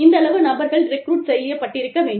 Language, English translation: Tamil, These many people, should be recruited